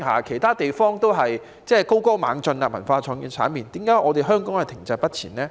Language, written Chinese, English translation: Cantonese, 其他地方的文化創意產業都是高歌猛進，為何香港卻停滯不前呢？, The cultural and creative industries in other places have been making triumphant progress . Why do Hong Kong remain stagnant in this respect?